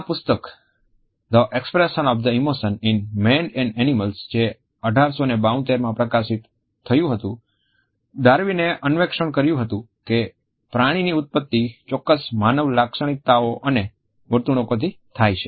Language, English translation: Gujarati, In this book the expression of the emotions in man and animals which was published in 1872, Darwin explored the animal origins of certain human characteristics and behaviors